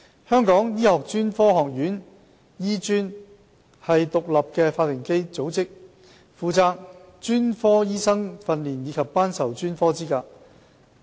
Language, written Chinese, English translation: Cantonese, 香港醫學專科學院是獨立法定組織，負責專科醫生訓練及頒授專科資格。, The Hong Kong Academy of Medicine HKAM is an independent statutory body responsible for medical specialist training and granting of specialist qualifications